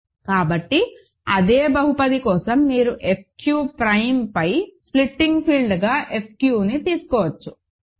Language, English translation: Telugu, So, for the same polynomial you can take F q as a splitting field over F q prime, ok